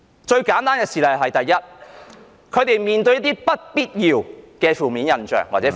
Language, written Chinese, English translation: Cantonese, 最簡單的事例是，第一，他們會面對一些不必要的負面印象或標籤......, The most obvious example is firstly the undue negative impression or label attached to them